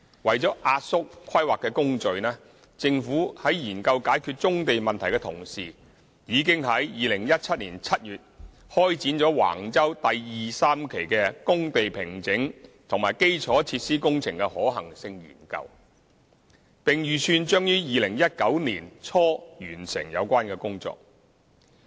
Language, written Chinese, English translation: Cantonese, 為了壓縮規劃工序，政府在研究解決棕地問題的同時，已於2017年7月開展橫洲第2、3期的工地平整及基礎設施工程的可行性研究，並預計將於2019年年初完成有關工作。, In order to shorten the planning process while the Government is still examining the solutions to tackle the problem of brownfield sites a feasibility study for site formation and infrastructural works at Wang Chau Phases 2 and 3 was commenced in July 2017 and the work is expected to be completed by early 2019